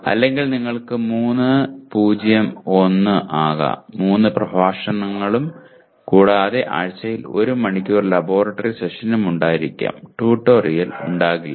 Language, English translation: Malayalam, Or you may have 3:0:1, 3 lecture hours, no tutorial, and 2 hours of laboratory session per week